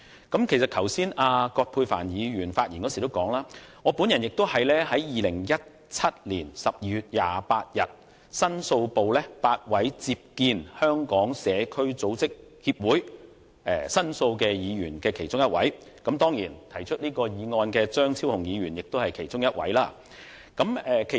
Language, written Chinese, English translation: Cantonese, 葛珮帆議員剛才發言的時候指出 ，8 位議員於2017年12月28日在立法會申訴部聽取香港社區組織協會的申訴，我是其中一位議員，而動議本議案的張議員當然亦是其中一位。, Just now Dr Elizabeth QUAT pointed out in her speech that eight Members received the complaint from the Society for Community Organization at the Public Complaints Office on 28 December . While I was one of those eight Members Dr CHEUNG who has moved this motion was definitely another one amongst them